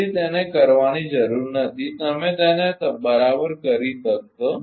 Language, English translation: Gujarati, So, no need to do it you will be able to do it right